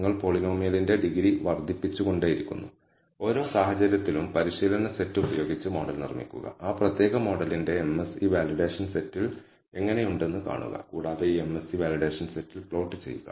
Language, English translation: Malayalam, You keep increasing the degree of the polynomial and for each case, build the model using the training set and see how the MSE of that particular model is on the validation set and plot this MSE on the validation set as a function of the degree of the polynomial